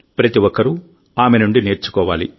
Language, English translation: Telugu, Everyone should learn from her